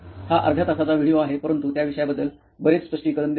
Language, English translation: Marathi, It is an half an hour video but explains a lot about the topic